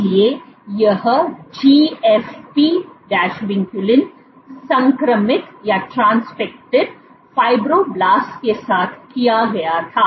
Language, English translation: Hindi, So, this was done with GFP Vinculin transfected fibroblast